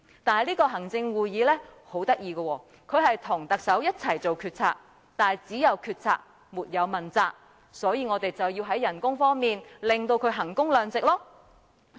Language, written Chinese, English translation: Cantonese, 但是，行會很有趣，它跟特首一起作出決策，但只有決策，沒有問責，所以，我們便要在薪酬上令他們衡工量值。, However the Executive Council is very amusing it works with the Chief Executive to make policy decisions but it just decides policies without holding accountable so we have to apply value for money on their salaries